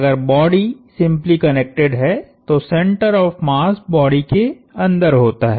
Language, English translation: Hindi, So, as long as the body is simply connected, the center of mass lies inside the body